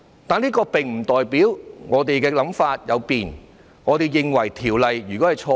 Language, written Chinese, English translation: Cantonese, 但是，這並不代表我們的想法有變，認為法案是錯的。, However it does not mean that there is any change of opinion on our part or we now think that the Bill in question is wrong